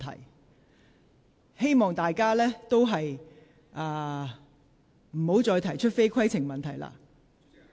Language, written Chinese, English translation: Cantonese, 我希望大家不要再提出非規程問題。, I hope Members will cease raising any question which is not a point of order